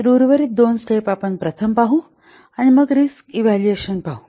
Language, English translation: Marathi, So the other remaining two steps are we will see first, then we will see the risk evaluation